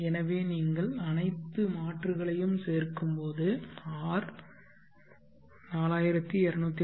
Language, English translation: Tamil, So when you add all the replacements you will get R is equal to rupees 424 2